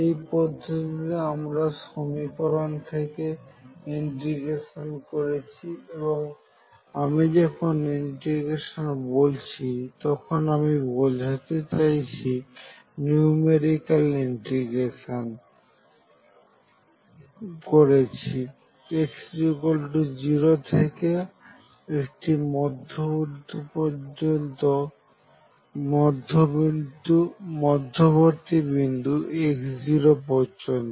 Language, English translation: Bengali, The other method was start integrating the equation and when I say integrating I mean I am doing numerical integration from x equals 0 up to some point x 0 in the middle